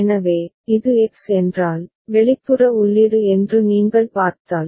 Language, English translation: Tamil, So, there if you see that if this is X, the external input